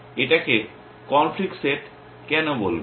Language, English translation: Bengali, Why do you call it conflict set